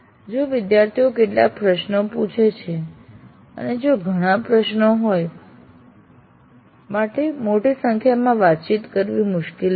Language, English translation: Gujarati, If there are some questions students are raising and if there are plenty then it will be difficult for faculty member to interact with large numbers